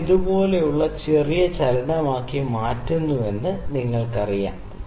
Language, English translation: Malayalam, So, you know if I do make it small movement like this